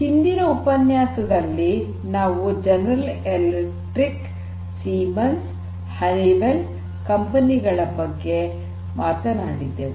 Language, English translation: Kannada, So, in the previous lecture we talked about the companies like General Electric, Siemens and Honeywell